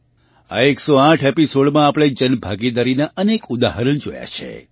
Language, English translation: Gujarati, In these 108 episodes, we have seen many examples of public participation and derived inspiration from them